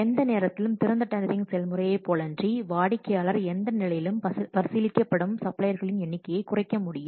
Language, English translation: Tamil, Unlike the open tendering process at any time the customer can reduce the number of suppliers being considered any stage